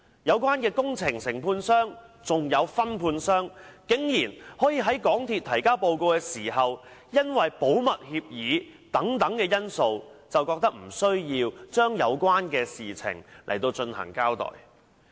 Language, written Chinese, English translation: Cantonese, 有關工程的承建商和分判商，竟然在港鐵公司提交報告時，因為保密協議等因素而認為無須就有關事宜作出交代。, The contractor and subcontractors for the project actually considered that they did not have to come clean because of such factors as a confidentiality agreement when MTRCL prepared its report for submission